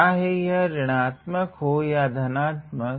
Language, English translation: Hindi, Whether it is negative or it is positive